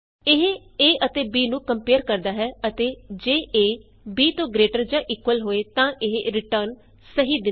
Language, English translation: Punjabi, It compares a and b and returns true if a is greater than or equal to b